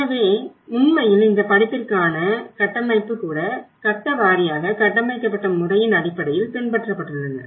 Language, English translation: Tamil, So in fact, even this course structure has been followed based on the way they have structured the phase wise